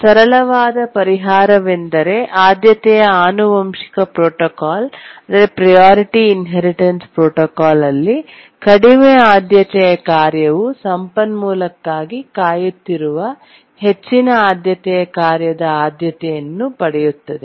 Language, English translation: Kannada, The simplest solution is the priority inheritance protocol where a low priority task inherits the priority of high priority task waiting for the resource